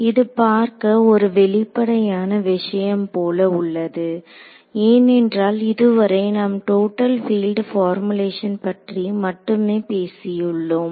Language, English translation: Tamil, This will look like a very obvious thing because so far we have been only talking about total field formulation